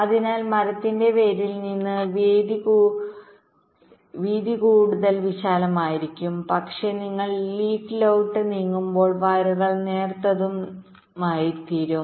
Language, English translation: Malayalam, ok, so from the root of the tree, the, the widths will be wider, but but as you moves towards the leaf, the wires will become thinner and thinner